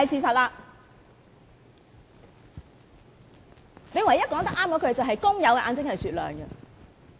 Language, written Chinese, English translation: Cantonese, 他唯一說得對的話是"工友的眼睛是雪亮的"。, The only right remark he made is workers eyes are crystal clear